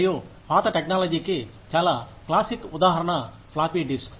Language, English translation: Telugu, And a very classic example of an outdated technology is the floppy disk